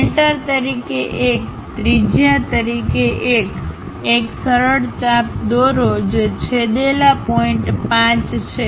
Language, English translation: Gujarati, 1 as center, 1 3 as radius, draw a smooth arc which is intersecting point 5